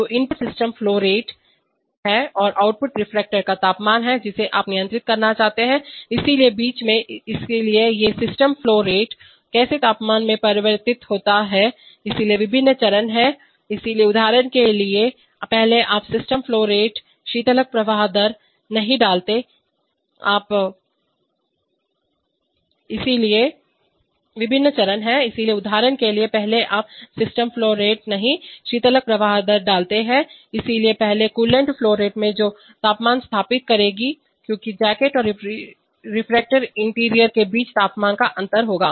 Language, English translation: Hindi, So the input is the steam flow rate and the output is the temperature of the reactor, which you want to control, so between, so how does these steam flow rate translate into a temperature, so there are various stages, so for example first if you put, not steam flow rate, coolant flow rate, so first the coolant flow rate will establish a temperature in the jacket then because there will be temperature difference between the, between the jacket and the reactor interior